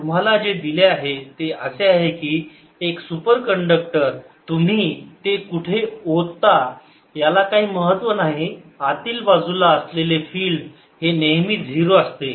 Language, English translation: Marathi, what you're given is that a superconductor, no matter where you put it, the field inside is always zero